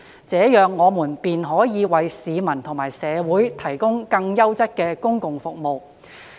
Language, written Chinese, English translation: Cantonese, 這樣，我們便可以為市民和社會提供更優質的公共服務。, By doing so we would be able to provide better services to the community